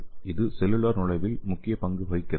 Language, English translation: Tamil, It is playing a major role in the cellular entry